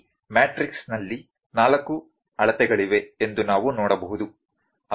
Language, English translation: Kannada, We can see in this matrix there are 4 measurements